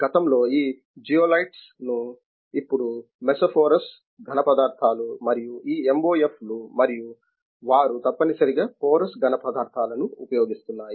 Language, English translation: Telugu, Previously these zeolites were used now mesoporous solids and this MOFs and (Refer Time: 05:17) they are essentially porous solids are being used